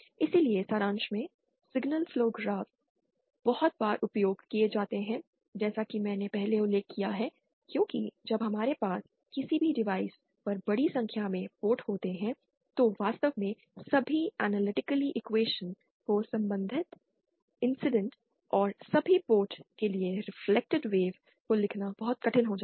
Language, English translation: Hindi, So, in summary, signal flow graphs are very, very frequently used as I have mentioned earlier because when we have a large number of ports on any device, it becomes very tedious to actually write all the analytically equations relating incident and reflected waves for all the ports